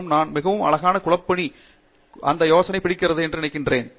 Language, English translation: Tamil, " And, I think that very beautifully captures this idea of teamwork